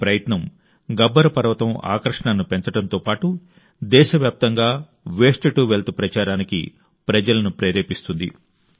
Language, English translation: Telugu, This endeavour, along with enhancing the attraction value of Gabbar Parvat, will also inspire people for the 'Waste to Wealth' campaign across the country